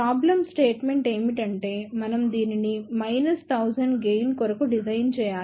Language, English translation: Telugu, The problem statement is we have to design this for a gain of minus 1000